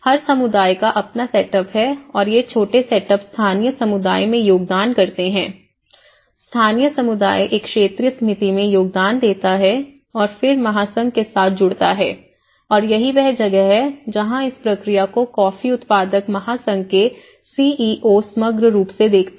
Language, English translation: Hindi, So, that is where we are talking about each community have their own setup and these smaller setups contribute a local community, the local community contributes a regional committee and then adding with the federation and that is where coffee grower’s federation CEO who looks into the overall process